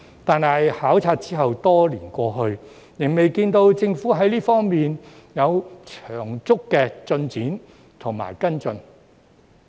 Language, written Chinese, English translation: Cantonese, 但是，考察後多年過去，仍未看到政府在這方面有長足的進展和跟進。, Though many years have passed since the study tour we still have not seen any significant progress and follow - up by the Government in this area